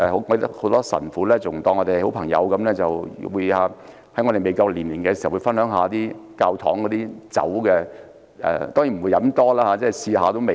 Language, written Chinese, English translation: Cantonese, 很多神父把我們當作好朋友，在我們未成年時，已讓我們分享教堂內的酒；當然我們只是淺嘗一下味道。, Many fathers regarded us as their good friends and would share their alcoholic drinks in the churches with us while we were underage . Of course we only tasted a small amount of it